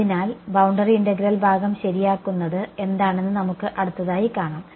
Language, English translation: Malayalam, So, next we will see what is the just revise the boundary integral part ok